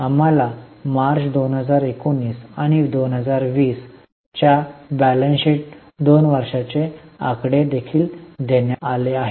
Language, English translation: Marathi, We have also been given two years figures of balance sheet for March 19 and March 2020